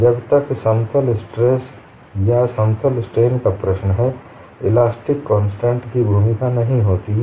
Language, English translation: Hindi, As long as the problem is plane stress or plane strain, the elastic constant do not play a role